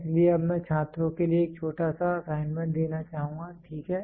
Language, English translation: Hindi, So, now I would like to give a small assignment for the students, ok